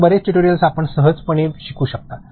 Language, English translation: Marathi, So, many tutorial you can easily learn it